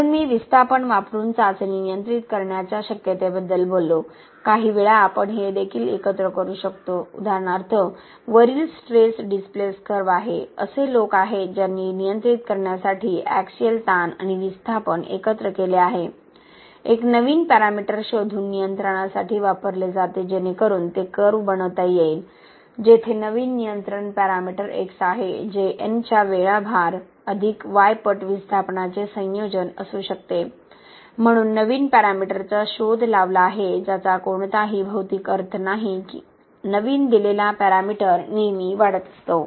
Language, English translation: Marathi, Okay, so I talked about the possibility of controlling a test by using displacement, sometimes we can combine also for example if this is the stress displacement curve, there are people who have combined axial stress and displacement to control by inventing a new para meter that is used for control okay, so this is made into a curve like this, okay or something like this, where this is the new control parameter X, which could be a combination of N times the load plus Y times the displacement okay, so new parameter which does not have any physical meaning is invented to run the test such that this parameter given by this is always increasing